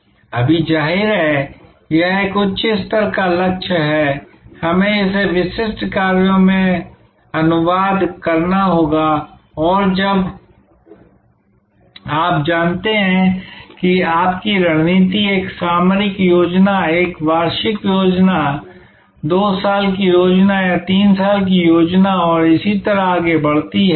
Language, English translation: Hindi, Now; obviously, this is a little higher level goal, we have to translate that into specific actions and that is when you know your strategy leads to a tactical plan, an annual plan, a 2 years plan or a 3 years plan and so on